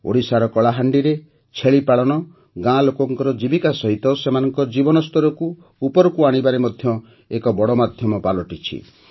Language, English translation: Odia, In Kalahandi, Odisha, goat rearing is becoming a major means of improving the livelihood of the village people as well as their standard of living